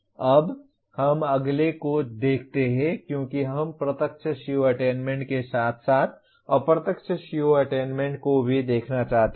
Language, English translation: Hindi, Now let us look at the next one because we want to look at direct CO attainment as well as indirect CO attainment